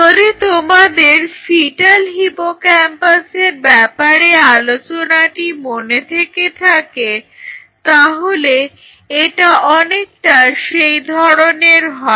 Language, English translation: Bengali, So, if you remember when we talked about a fetal hippocampus, it is more like this